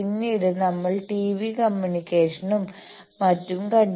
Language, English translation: Malayalam, Then we have seen TV communication, etcetera